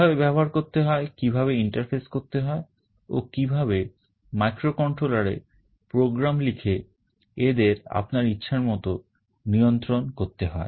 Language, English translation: Bengali, How to use them, how to interface them, and how to write a program in the microcontroller to control them in the way we want